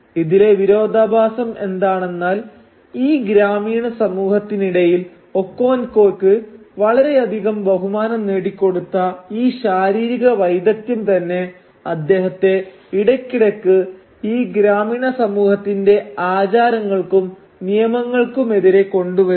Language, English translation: Malayalam, Now what is ironic however is that this very physical prowess which earns Okonkwo so much respect within the village society also frequently brings him in conflict with the rules and customs of the village community